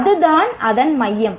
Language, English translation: Tamil, So that is the focus of that